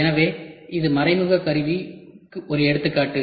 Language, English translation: Tamil, So, this is an example of indirect tooling